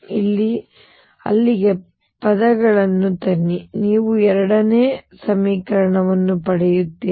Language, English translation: Kannada, Bring the terms from here to there and you get the second equation